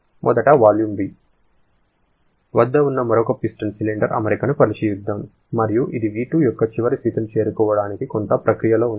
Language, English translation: Telugu, Let us consider another piston cylinder arrangement which is initially at a volume V1 and it is undergoing some process to reach a final state point of V2